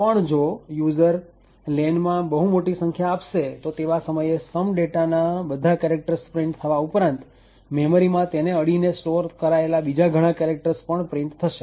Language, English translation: Gujarati, However, the user specifies a very large number for len than these some data characters would get printed as well as the adjacent characters stored in the memory would also get printed